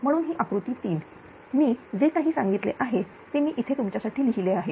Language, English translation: Marathi, Therefore, this is actually figure 3 this is figure 3 whatever I told I have written here for you